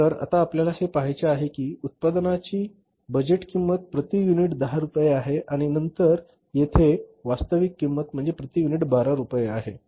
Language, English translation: Marathi, So now we have to see that budgeted cost of the product is 10 rupees per unit and then actual cost here is that is 12 rupees per unit